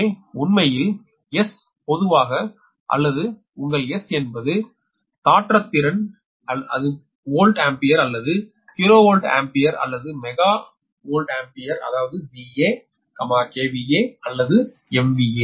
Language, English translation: Tamil, so actually, where s in general, that is your s, is apparent power, that is volt ampere or kilovolt ampere or mega volt ampere, that is v a, k v a or m v a